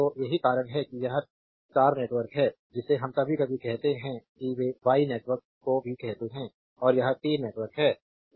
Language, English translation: Hindi, So, steps y it is star network we call sometimes they call y network also and this is T network right